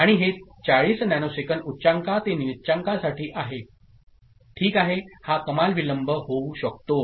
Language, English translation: Marathi, And this is 40 nanosecond is high to low ok; this is the maximum delay that can happen